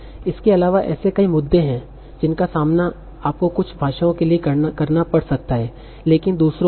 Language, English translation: Hindi, Further there are various issues that you might face for certain languages but not others